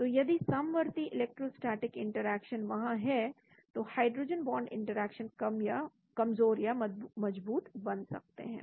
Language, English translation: Hindi, so if the concurrent electrostatic interactions are there the hydrogen bond interactions can become weaker or stronger